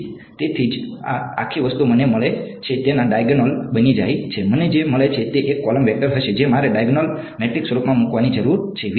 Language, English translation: Gujarati, So, that is why this whole thing becomes diagonal of whatever I get, whatever I get is going to be a column vector I need to put into a diagonal matrix form right